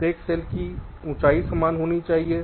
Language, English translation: Hindi, each cells must have the same height all this cells